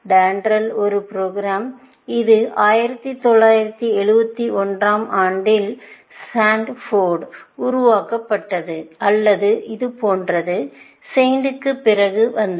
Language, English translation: Tamil, DENDRAL was a program; it was developed by Stanford in 1971 or something like that, came a bit after SAINT